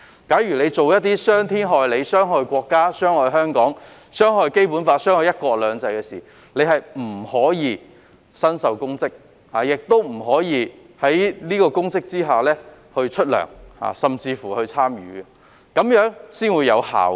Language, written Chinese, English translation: Cantonese, 假如做了一些傷天害理、傷害國家、傷害香港、傷害《基本法》、傷害"一國兩制"的事情，便不可以身受公職，亦不可以就出任公職收取薪酬，甚至參與公職，這樣才會有效。, If a person has done some wrongdoings that harm the country Hong Kong the Basic Law and one country two systems he or she must not hold public office nor be remunerated for holding public office or even participate in public services . Only by so doing can the legislation achieve its effect